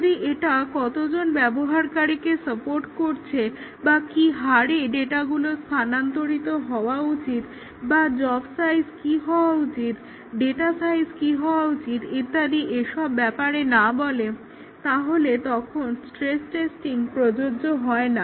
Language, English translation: Bengali, If it does not tell about how many users, it should support, what is the rate at which the data should be transferred, what should be the job size, data size and so on, then stress testing would not be applicable